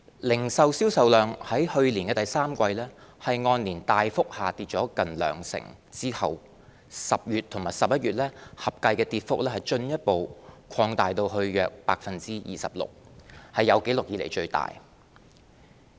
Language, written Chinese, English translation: Cantonese, 零售銷售量在去年第三季按年大幅下跌近兩成後 ，10 月和11月合計的跌幅進一步擴大至約 26%， 是有紀錄以來最大。, Retail sales volume fell visibly by nearly 20 % year - on - year in the third quarter of last year and the decline widened further to about 26 % in October and November combined which was the biggest drop on record